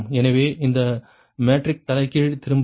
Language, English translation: Tamil, so no matric inversion is return